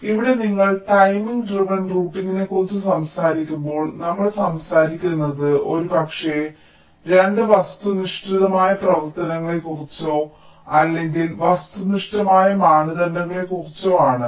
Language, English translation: Malayalam, ok, fine, so here, when you talk about timing driven routing, so we are talking about possibly two objective functions or means, objective criteria, so we may seek to minimize either one of them or both